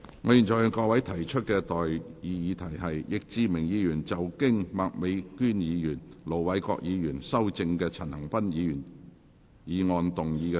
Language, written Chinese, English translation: Cantonese, 我現在向各位提出的待議議題是：易志明議員就經麥美娟議員及盧偉國議員修正的陳恒鑌議員議案動議的修正案，予以通過。, I now propose the question to you and that is That Mr Frankie YICKs amendment to Mr CHAN Han - pans motion as amended by Ms Alice MAK and Ir Dr LO Wai - kwok be passed